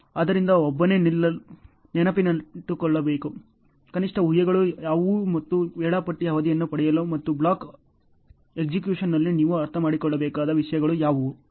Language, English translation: Kannada, So, what are the assumptions minimum assumptions one should keep in mind and in order to get a scheduling duration and also what are the things you should understand in the block execution ok